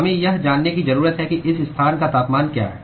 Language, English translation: Hindi, What we need to know is what is the temperature at this location